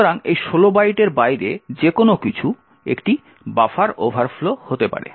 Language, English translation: Bengali, So, anything beyond these 16 bytes would lead to a buffer overflow